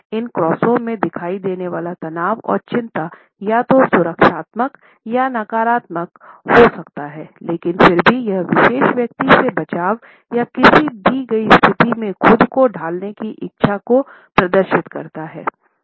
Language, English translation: Hindi, The tension and anxiety which is visible in these crosses can be either protective or negative, but nonetheless it exhibits a desire to shield oneself from a particular person or to shield oneself in a given situation